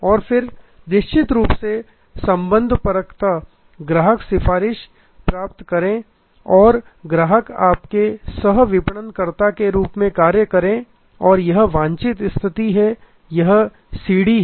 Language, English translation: Hindi, And then of course, from relational we want to go to advocacy or customer as your co marketer and this is the desired state and this is the stairway